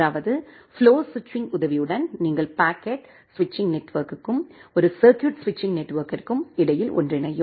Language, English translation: Tamil, That means, this flow switching with the help of flow switching, you can make a convergence between the packet switching network and a circuit switching network